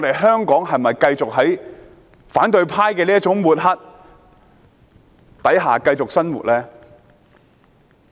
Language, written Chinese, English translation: Cantonese, 香港應否繼續在反對派這種抹黑下繼續生活？, Should Hong Kong people continue to live under the smearing of the opposition camp?